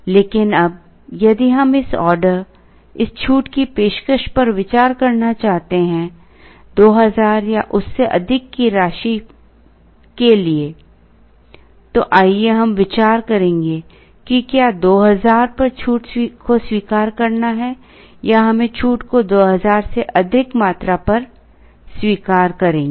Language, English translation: Hindi, Let us consider that we are looking at whether to accept the discount at 2000, we will then address the situation, whether we will accept the discount at a quantity greater than 2000